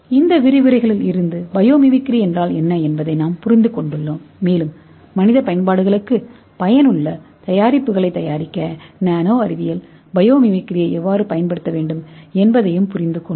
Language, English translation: Tamil, So similarly we have plenty of examples okay and from this lectures we have understood what is biomimicry and we have also understood how the nanosciences uses biomimicry for making useful products for the human applications